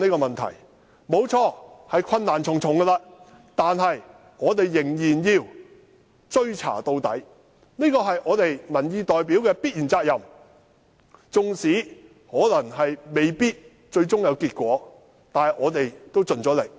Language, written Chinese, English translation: Cantonese, 雖然面對困難重重，但我們仍要追查到底，這是我們作為民意代表必須肩負的責任，縱使最終未必會成功，但我們也盡了力。, Despite the many difficulties we must continue to pursue until the end . As representatives of public opinion we must shoulder this responsibility . Even if we might not succeed in the end at least we have tried our very best